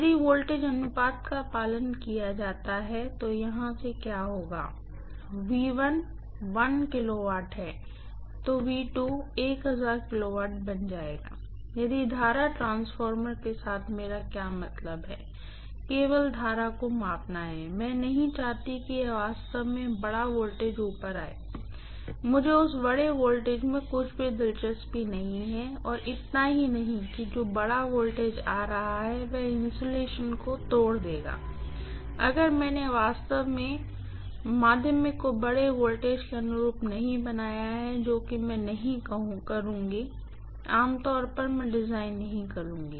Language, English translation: Hindi, If the voltage ratio is followed what will happen is from here, V1 is 1 kilovolt so V2 will become 1000 kilovolt but what I was meaning to with the current transformer is only to measure the current, I don’t want really this large voltage to come up, I am not interested in that large voltage at all and not only that, that large voltage that is coming up will rupture the insulation, If I have really not designed the secondary corresponding to larger voltage, which I will not, normally I will not design the secondary of a current transformer corresponding to a larger voltage at all, because it is meant only for measuring the currents, stepping down the current and measuring the current